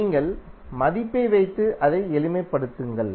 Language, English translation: Tamil, You just put the value and simplify it